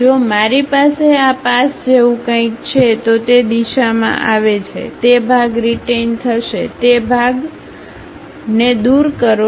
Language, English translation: Gujarati, If I have something like this pass, comes in that direction, retain that part, retain that part and remove this